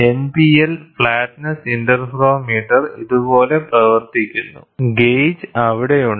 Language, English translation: Malayalam, So, the NPL flatness interferometer works like this, the gauge is there